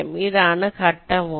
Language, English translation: Malayalam, this is the phase one